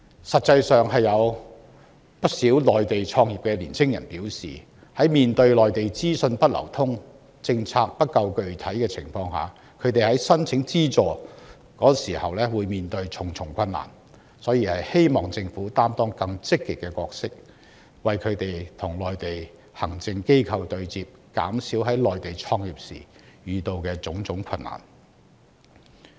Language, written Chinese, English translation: Cantonese, 事實上，不少在內地創業的青年人表示，在內地資訊不流通、政策不夠具體的情況下，他們申請資助時困難重重，因而希望政府能夠擔當更積極的角色，為他們與內地行政機構對接，減少在內地創業時遇到的困難。, In fact many young people running their business in the Mainland have indicated that owing to the ineffective flow of information and lack of specific policy they have encountered great difficulty in applying for funding support . They hope that the Government will be more proactive in helping them liaise with the Mainlands administrative agencies to make business start - up easier in the Mainland